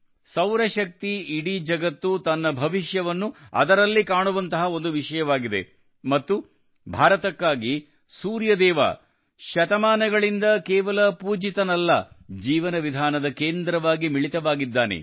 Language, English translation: Kannada, Solar Energy is a subject today, in which the whole world is looking at its future and for India, the Sun God has not only been worshiped for centuries, but has also been the focus of our way of life